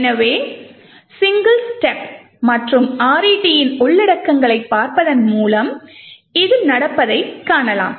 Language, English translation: Tamil, So, we can see this happening by single stepping and looking at the contents of RET